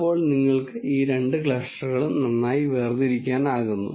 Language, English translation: Malayalam, Then you have clearly these two clusters very well separated